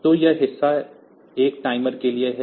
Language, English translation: Hindi, So, this part is for timer 1